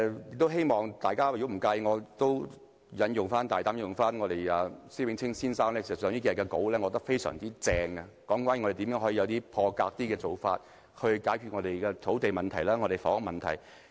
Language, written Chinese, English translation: Cantonese, 如果大家不介意，我大膽引用施永青先生近數天發表的文章，我覺得他寫得非常好，那便是如何作出一些破格做法，解決我們的土地和房屋問題。, If Members do not mind let me quote from an article published by Mr SHIH Wing - ching a few days ago which I think was very well - written . He proposed an unconventional approach to address our land and housing problem